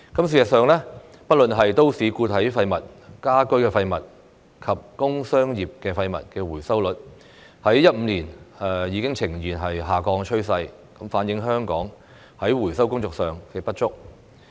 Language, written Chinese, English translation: Cantonese, 事實上，不論是都市固體廢物、家居廢物及工商業廢物的回收率，自2015年已呈現下降趨勢，反映香港在回收工作上的不足。, In fact the recovery rates of municipal solid waste MSW domestic waste and commercial and industry waste have all shown a downward trend since 2015 indicating the inadequacies of Hong Kongs recycling efforts